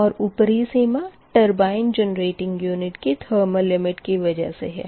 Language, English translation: Hindi, right, and the upper limit is set by thermal limits on the turbine generating units